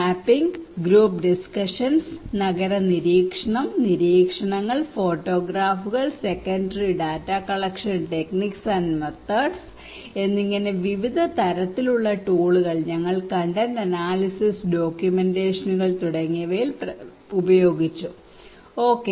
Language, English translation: Malayalam, We use different kind of tools like mapping, group discussions, town watching, observations, photographs, secondary data collection techniques and methods were also used like content analysis, documentations okay